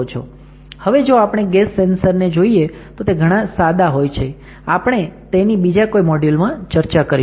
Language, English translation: Gujarati, Now, if we talk about gas sensors, it becomes very simple and we have discussed in one of the modules